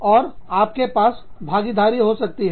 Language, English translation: Hindi, You could have partnerships